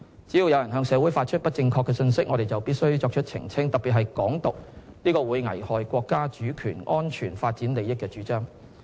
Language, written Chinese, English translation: Cantonese, 只要有人向社會發放不正確信息，我們就必須作出澄清，特別是"港獨"這個會危害國家主權、安全、發展利益的主張。, We must clarify any incorrect message conveyed to the community particularly one concerning advocacy of Hong Kong independence which will endanger our countrys sovereignty security and development interests